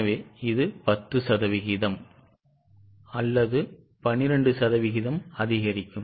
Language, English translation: Tamil, So, it increases either by 10% or by 12%